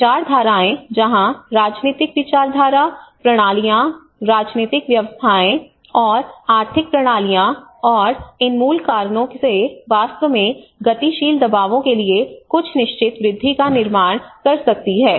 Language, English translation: Hindi, Ideologies where the political ideology, the systems, political systems and economic systems and how these root causes can actually create certain add on to the dynamic pressures